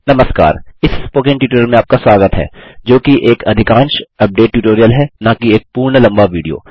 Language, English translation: Hindi, Hello everyone, welcome to this Spoken Tutorial, which is more of an update tutorial and not a full length video